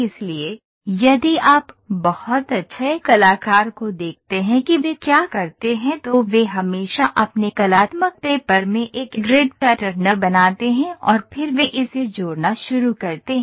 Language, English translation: Hindi, So, if you look at very good artist what they do is they always draw a grid pattern in their in their artistic paper and then they start linking it